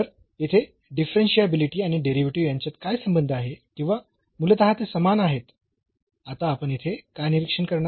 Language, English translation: Marathi, So, here differentiability and the derivative what is the relation or basically they are the same what we will observe now here